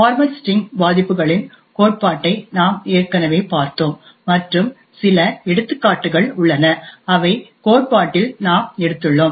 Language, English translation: Tamil, So we have already looked at the theory of format strings vulnerabilities and there are some examples, which we are taken in the theory